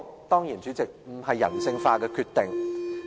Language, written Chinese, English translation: Cantonese, 當然，這不是人性化的決定。, This is of course a dehumanized decision